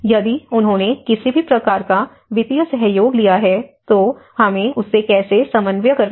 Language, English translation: Hindi, If they have taken any kind of financial support, how we have to coordinate with that